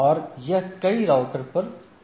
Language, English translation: Hindi, So, and it may go on over several routers right